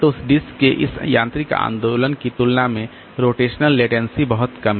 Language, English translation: Hindi, So, the rotational delay is much less compared to this mechanical movement of the disk head